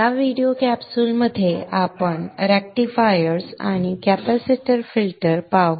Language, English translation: Marathi, In this video capsule we shall look at rectifiers and capacitor filter